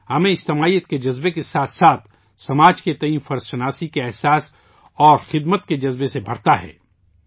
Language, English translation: Urdu, Along with the feeling of collectivity, it fills us with a sense of duty and service towards the society